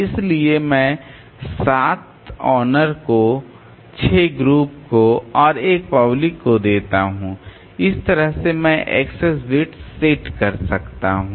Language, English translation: Hindi, So, I give 7 to owners 6 to group and 1 to public and that way I can set the access bits